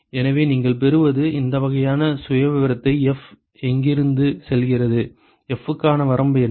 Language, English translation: Tamil, So, what you get is this kind of a profile where F goes from; what is the range for F